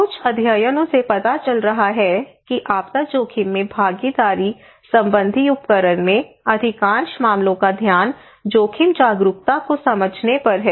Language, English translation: Hindi, Some studies is showing that most of the cases disaster risk management participatory tools their focus is on understanding the risk awareness